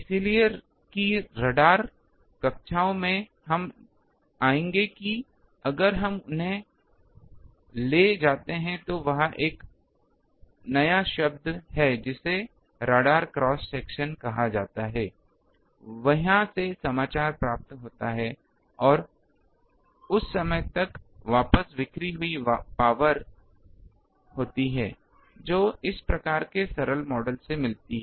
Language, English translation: Hindi, So, that in radar classes we will come across that if we take they also there is a new term called radar cross section gets into news there and by that again what is the back scattered power that comes from these type of simple models you can find